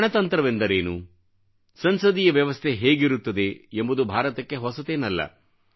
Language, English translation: Kannada, What is a republic and what is a parliamentary system are nothing new to India